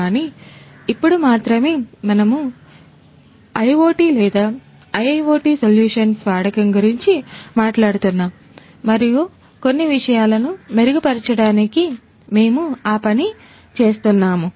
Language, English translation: Telugu, But only now we are talking about the use of IoT or IIoT solutions and we are doing that in order to improve certain things